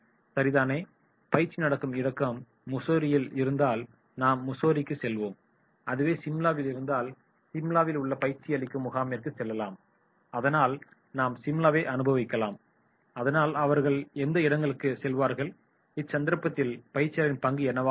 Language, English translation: Tamil, Okay, if it is in Mussoorie so let us go to Mussoorie, if it is in Shimla then let us go to the training program in Shimla so okay we will enjoy Shimla so they will go to these places then what will be the role of the trainer